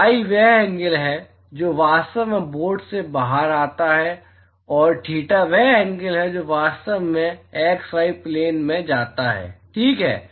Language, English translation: Hindi, phi is the angle that actually comes out of the board and theta is the angle which actually goes in the x y plane ok